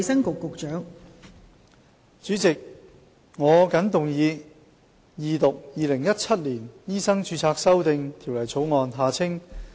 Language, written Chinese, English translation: Cantonese, 代理主席，我謹動議二讀《2017年醫生註冊條例草案》。, Deputy President I move the Second Reading of the Medical Registration Amendment Bill 2017